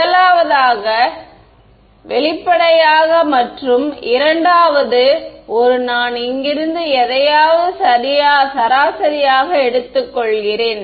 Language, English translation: Tamil, The first one; obviously and the second one also right I am taking the average of something from here and something from here